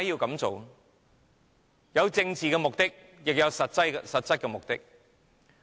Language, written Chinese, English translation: Cantonese, 既有政治目的，也有實質目的。, There are both political and substantial purposes